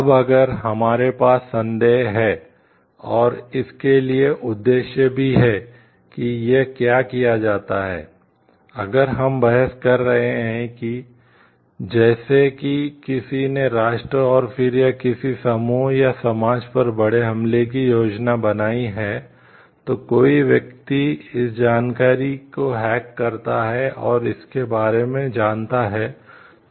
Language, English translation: Hindi, Now, if we have a suspicion and for also the purpose for what it is done, if we are arguing like somebody has planned a major attack on the nation and, then or on a group or a society, then somebody hacks those information and comes to know about it